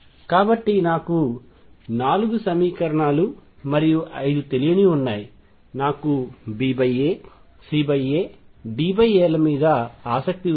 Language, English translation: Telugu, So, I have got 4 equations and 5 unknowns all I am interested in is B over A, C over A, D over A